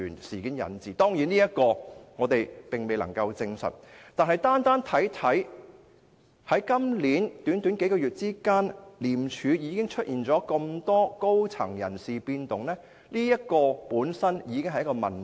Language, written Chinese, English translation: Cantonese, 雖然我們未能夠證實這說法，但單看今年短短數月間，廉署已出現如此多高層人士的變動，這本身已經是一個問題。, While we are unable to prove this the many senior personnel changes in ICAC over just a short span of several months this year are already a problem